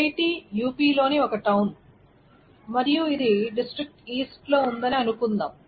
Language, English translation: Telugu, So IIT is a town in UP and suppose it's in the district east and so on and so forth